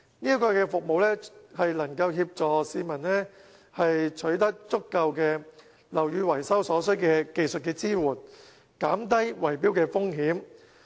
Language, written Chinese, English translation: Cantonese, 這項服務能協助市民取得樓宇維修所需的技術支援，減低圍標的風險。, This initiative can help owners secure the necessary technical support relating to building repairs therefore reducing the risk of bid - rigging